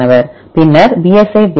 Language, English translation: Tamil, Then psi BLAST